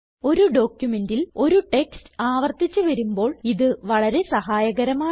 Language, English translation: Malayalam, This feature is very helpful when the same text is repeated several times in a document